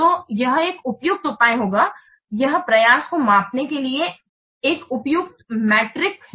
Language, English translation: Hindi, So it will be a suitable measure to it's a suitable metric to measure the effort